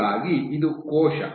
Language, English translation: Kannada, So, this is the cell